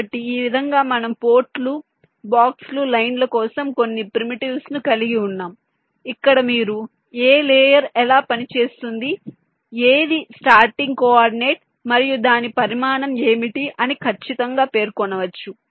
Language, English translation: Telugu, so in this way you have some primitives for the ports, the boxes, lines, everything where you can exactly specify which layer it is running on, what is it starting coordinate and what is it size